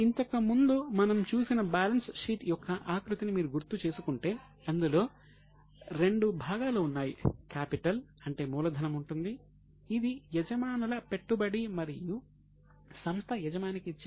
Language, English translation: Telugu, If you remember the format of balance sheet earlier, it has two components